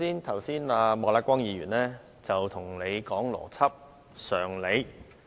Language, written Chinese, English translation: Cantonese, 剛才莫乃光議員跟你說邏輯、常理。, Mr Charles Peter MOK talked about logic and common sense with you just now